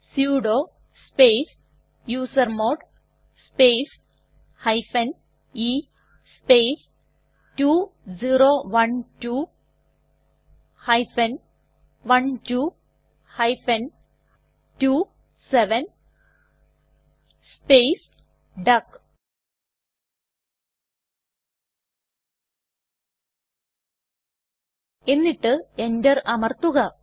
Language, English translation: Malayalam, Here at the command prompt type sudo space usermod space e space 2012 12 27 space duck and press Enter